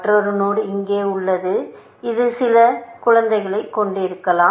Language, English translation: Tamil, Another node is here, which may have some child and so on